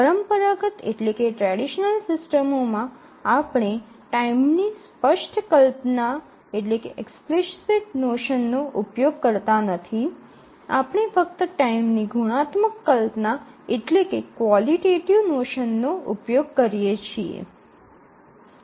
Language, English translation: Gujarati, In contrast in a traditional system we have the notion of a qualitative notion of time